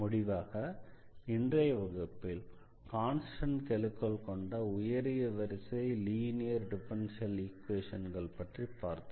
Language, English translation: Tamil, And in particular in today’s lecture we will be talking about these linear differential equations of higher order with constant coefficients